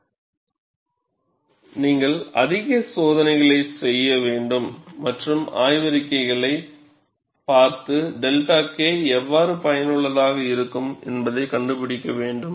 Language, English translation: Tamil, So, you have to perform more tests and look at the literature and find out, how to get the delta K effective